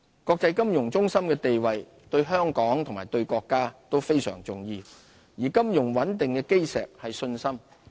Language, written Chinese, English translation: Cantonese, 國際金融中心的地位對香港和對國家都非常重要，而金融穩定的基石是信心。, Our position as an international financial centre is crucial to both Hong Kong and our country . The cornerstone of financial stability is confidence